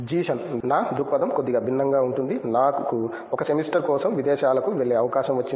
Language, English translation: Telugu, My perspective is slightly different; I had the opportunity to go aboard for a semester